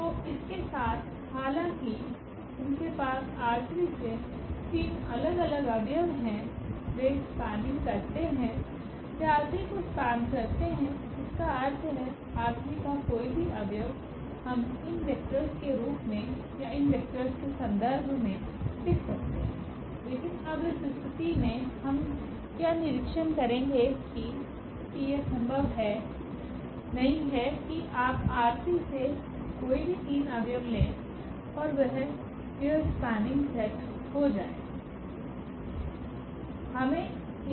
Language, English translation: Hindi, So, with these though they have the three different elements from R 3, they span; they span R 3 means any element of R 3 we can write down in terms of these vectors or in terms of these vectors, but now in this case what we will observe that this is not possible that you take any three elements from R 3 and that will form this spanning set